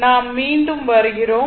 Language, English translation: Tamil, So, we are back again